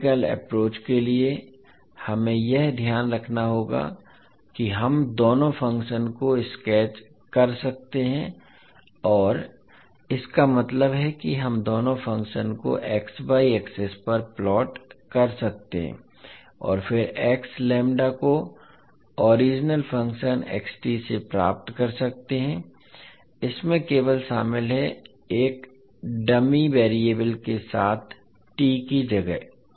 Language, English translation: Hindi, So for the graphical approach we have to keep in mind that we can sketch both of the functions and means we can plot both of the function on x y axis and then get the x lambda from the original function xt, this involves merely replacing t with a dummy variable lambda